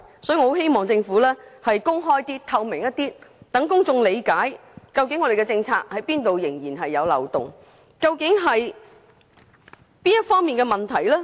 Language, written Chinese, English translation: Cantonese, 所以，我很希望政府能更加公開和透明，讓公眾理解當局的政策中有哪些部分仍然存在漏洞，究竟哪一方面出了問題。, Hence I hope the Government can act with greater openness and transparency so that the public can know which segments of the present policy are still marked by loopholes and which segments have gone wrong